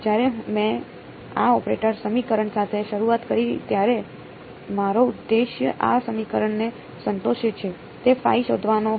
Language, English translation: Gujarati, My objective when I started with this operator equation was to find out the phi that satisfies this equation